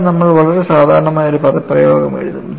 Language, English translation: Malayalam, See, what we will do is we will write a very generic expression